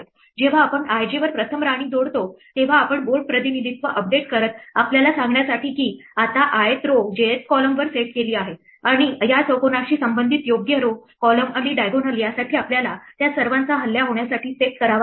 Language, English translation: Marathi, When we add a queen at i j first we update the board representation to tell us that there is, now the ith row is set to the jth column and for the appropriate row, column and diagonal corresponding to this square we have to set all of them to be under attack